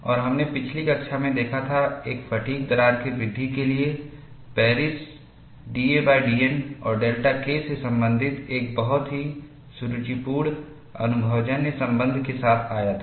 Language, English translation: Hindi, And we had looked at, in the last class, for the growth of a fatigue crack, Paris came out with a very elegant empirical relation, relating d a by d N and delta k